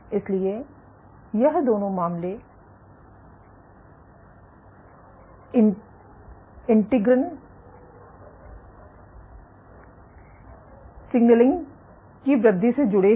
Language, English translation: Hindi, So, in both these cases this is associated with increased integrin signaling